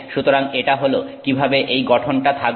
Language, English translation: Bengali, So, this is how this structure is